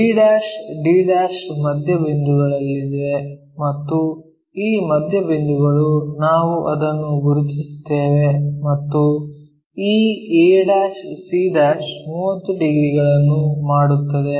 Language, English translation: Kannada, The BD points are at midpoints and these midpoints we will locate it and this ac' makes 30 degrees